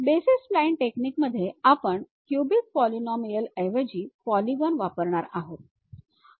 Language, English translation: Marathi, In basis spline techniques, we are going to use polygons instead of any cubic polynomials